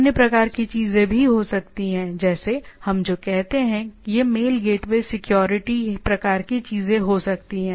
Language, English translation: Hindi, There can be other type of things also, like what we say there can be mail gateway security type of things